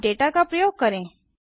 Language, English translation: Hindi, let us now access data